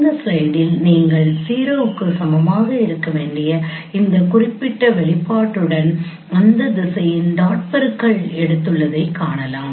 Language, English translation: Tamil, 69 then in this this slide you can see that you have taken the dot product of that direction with this particular expression that should be equal to 0